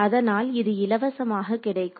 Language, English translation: Tamil, So, you get it for free